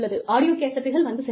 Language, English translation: Tamil, Audiocassettes came and went